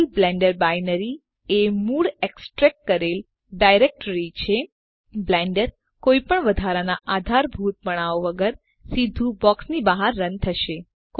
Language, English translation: Gujarati, Provided the Blender binary is in the original extracted directory, Blender will run straight out of the box without additional dependencies